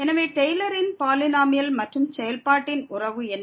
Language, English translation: Tamil, So, what is the relation of the Taylor’s polynomial and the function